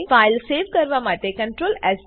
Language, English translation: Gujarati, To save the file, Press CTRL+ S